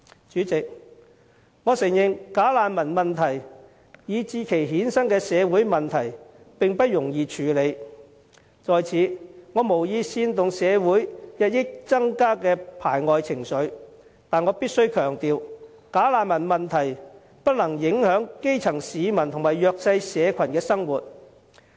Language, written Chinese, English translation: Cantonese, 主席，我承認"假難民"問題以至其衍生的社會問題並不容易處理，我在此無意煽動社會日益增加的排外情緒，但我必須強調，"假難民"問題不能影響基層市民及弱勢社群的生活。, President I must confess that it is no easy task to tackle the bogus refugee problem and its associated social problems . Here I have no intention to fan the xenophobic sentiments in community . But I must stress that we should not allow the bogus refugee problem to adversely affect the living of the grass roots and the underprivileged